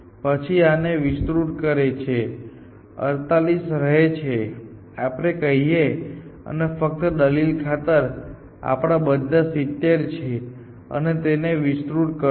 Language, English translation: Gujarati, Then, it expands this one, remains 48 let us say and just for argument sake, let say these are all 70 and it expands this